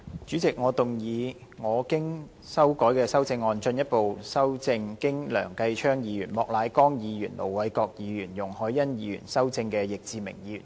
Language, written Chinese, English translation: Cantonese, 主席，我動議我經修改的修正案，進一步修正經梁繼昌議員、莫乃光議員、盧偉國議員及容海恩議員修正的易志明議員議案。, President I move that Mr Frankie YICKs motion as amended by Mr Kenneth LEUNG Mr Charles Peter MOK Ir Dr LO Wai - kwok and Ms YUNG Hoi - yan be further amended by my revised amendment